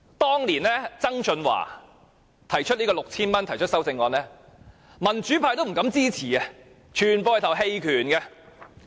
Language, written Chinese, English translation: Cantonese, 當年曾俊華就派發 6,000 元提出修正案，民主派也不敢支持，全部人投棄權票。, When John TSANG moved an amendment to give away 6,000 to the people Members from the pan - democratic camp dared not show their support and they all abstained from voting